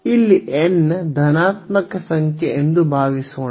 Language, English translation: Kannada, So, suppose here n is a positive number